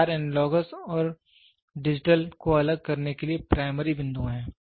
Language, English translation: Hindi, These four are primary points to distinguish analogous and digital